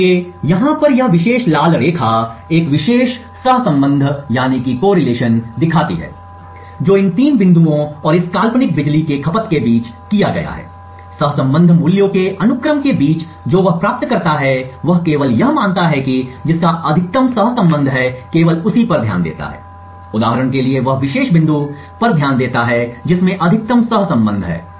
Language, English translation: Hindi, So, this particular red line over here shows one particular correlation that has been done between these three points and this hypothetical power consumption, among the sequence of correlation values that he obtains, he only considers that which has the maximum correlation, so he considers only that particular point for example say this point which has the maximum correlation